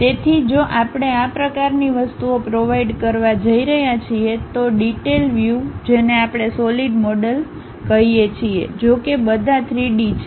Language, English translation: Gujarati, So, a detailed view if we are going to provide such kind of things what we call solid models; though all are three dimensional